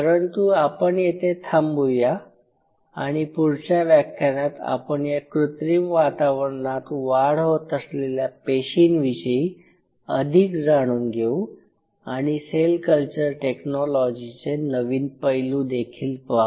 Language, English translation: Marathi, I will close in here in the next class we will talk little bit more about the biology of the cultured cell before we move on to the other aspect of cell culture technology